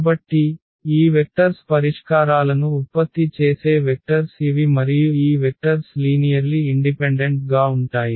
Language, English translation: Telugu, So, these vectors can the vectors that generate the solutions are these and this and these vectors are linearly independent